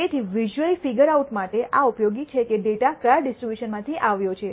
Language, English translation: Gujarati, So, this is useful for visually figuring out from which distribution did the data come from